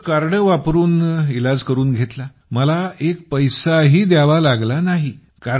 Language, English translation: Marathi, Then I got the treatment done by card, and I did not spend any money